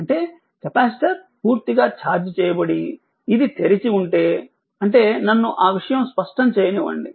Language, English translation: Telugu, That means, if capacitor is fully charged and this was is open, that means just let me make your thing clear